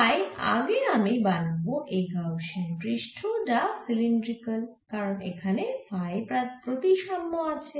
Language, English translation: Bengali, so first i will make a gaussian surface which is cylindrical because here is the phi symmetry